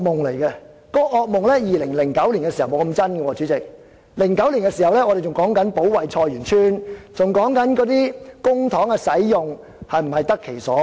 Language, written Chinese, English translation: Cantonese, 主席，這個惡夢在2009年還沒那麼真實，我們那時候還在說保衞菜園村，還在說公帑是否用得其所。, This nightmare was not so real in 2009 when Members were still talking about defending Choi Yuen Tsuen and whether public funds were properly utilized